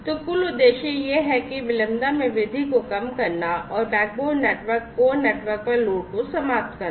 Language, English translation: Hindi, So, the overall objective is to reduce the latency increase throughput and eliminate load onto the backbone network, the core network